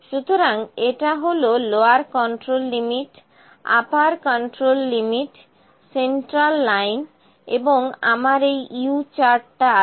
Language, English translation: Bengali, So, it is lower control limit, upper control limit, central line and I have this U chart